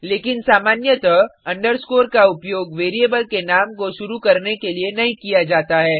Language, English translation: Hindi, But generally underscore is not used to start a variable name